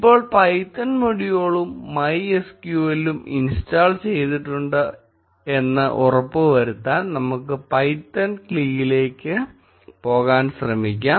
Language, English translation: Malayalam, Now, to make sure that python module and MySQL are indeed installed, let us try going to the python CLI